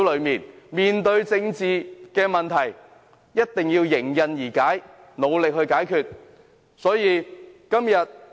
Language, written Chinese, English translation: Cantonese, 面對政治問題，必定要認真面對，努力尋找解決方法。, He or she must seriously deal with political problems and strive to seek solutions